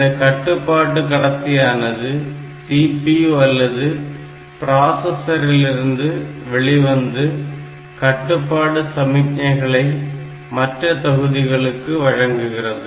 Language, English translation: Tamil, So, these control lines are also coming to the coming from the CPU or the processor where it will give the control signals to these modules